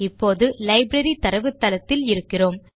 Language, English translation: Tamil, And open our Library database